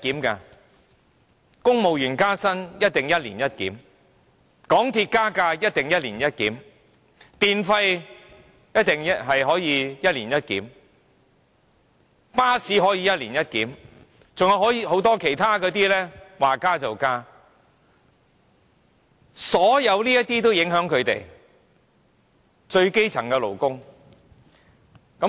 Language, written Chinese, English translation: Cantonese, 公務員加薪必定一年一檢、港鐵加價必定一年一檢、電費必定可以一年一檢、巴士票價可以一年一檢，還有很多其他機構說加價便加價，這一切都會影響最基層的勞工。, Civil service pay rise is definitely reviewed once a year; MTR fares are definitely reviewed once a year; the electricity tariffs can certainly be reviewed once a year and so can bus fares and many other organizations can also increase their fees and charges as they like